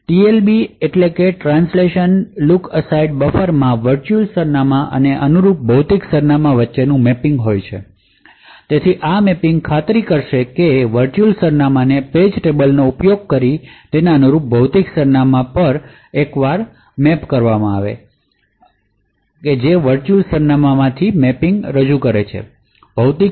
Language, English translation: Gujarati, The TLB stands for the translation look aside buffer has a mapping between the virtual address and the corresponding physical address so this mapping will ensure that once a virtual address is mapped to its corresponding physical address using the page tables that are present that mapping from virtual address to physical address is stored in the TLB